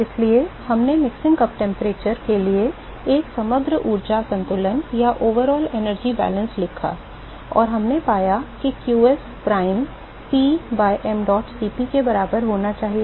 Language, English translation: Hindi, So, we wrote an overall energy balance for the mixing cup temperature, and we found that that should be equal to qs prime P by mdot Cp